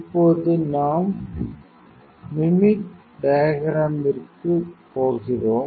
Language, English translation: Tamil, Now, we are going to mimic diagram